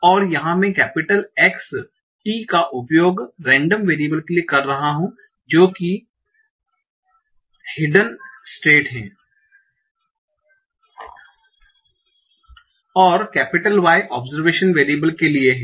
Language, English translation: Hindi, So here I am using capital XT to denote the random variable that is the hidden state and capital Y to denote the observation variable